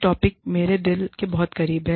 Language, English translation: Hindi, Topic, very, very, close to my heart